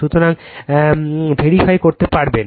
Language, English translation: Bengali, So, you can verify